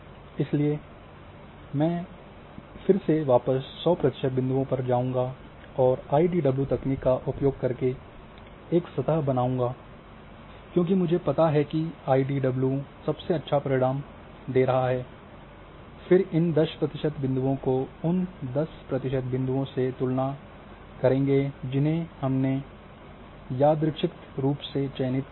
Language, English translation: Hindi, So, then I will go back to hundred percent points and then create a surface using IDW method because I know that IDW is giving the best results then I compare with 10 percent points and those 10 percent points you have selected randomly